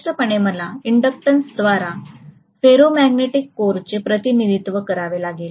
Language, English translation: Marathi, So obviously, I have to represent the ferromagnetic core by an inductance